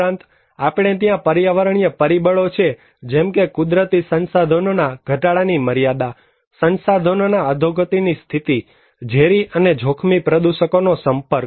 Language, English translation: Gujarati, Also, we have environmental factors like the extent of natural resource depletions, the state of resource degradations, exposure to toxic and hazardous pollutants